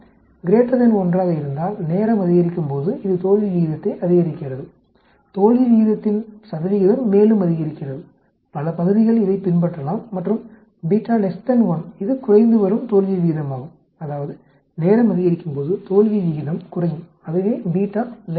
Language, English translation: Tamil, If beta is greater than 1, it is increasing failure rate as time goes up, the percentage of failure rate also increases, many parts may follow this and beta less than 1, it is a decreasing failure rate that means as time keeps increasing the failure rate goes down that is beta less than 1